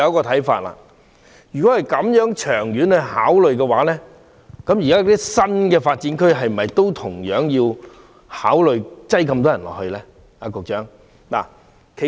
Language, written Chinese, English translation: Cantonese, 同理，如果從長遠考慮，現時的新發展區是否要讓那麼多人居住呢？, By the same token in the long run we should consider whether we should arrange so many people to live in the New Development Areas?